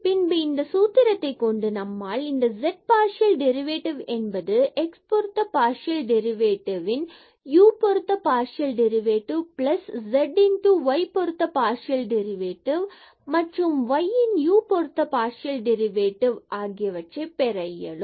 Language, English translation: Tamil, We can use this formula to get the partial derivative of this z with respect to u is equal to the partial derivative of z with respect to x and partial derivative of x with respect to u plus partial derivative of z with respect to y and partial derivative of y with respect to u again because we are differentiating partially z with respect to u